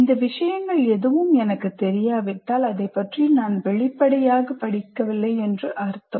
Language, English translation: Tamil, First of all if I do not know any of these things I haven't read about it obviously I do not know